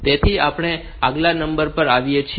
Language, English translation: Gujarati, So, we have come to the next number